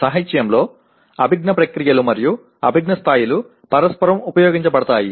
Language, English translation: Telugu, In literature cognitive processes and cognitive levels are used interchangeably